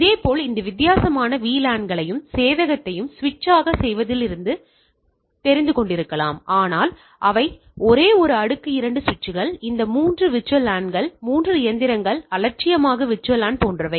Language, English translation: Tamil, Similarly same thing that I can have this different VLANs and the server from switch off particular this may be, but they are in the same layer 2 switches, these three VLANs, three machines indifferent VLAN etcetera